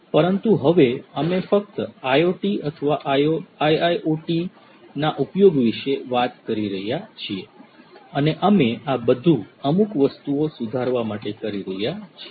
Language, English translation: Gujarati, But only now we are talking about the use of IoT or IIoT solutions and we are doing that in order to improve certain things